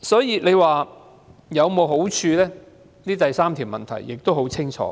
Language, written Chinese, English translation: Cantonese, 由此可見，第三個問題的答案很清楚。, The answer to the third question is thus clear